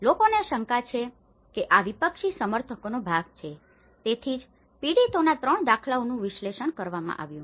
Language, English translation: Gujarati, People have suspected that these has been part of the opposition supporters, so that is where 3 patterns of victims have been analyzed